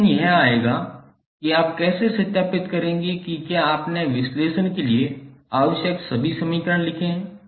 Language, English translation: Hindi, Now the question would come how you will verify whether you have written the all the equations which are required for the analysis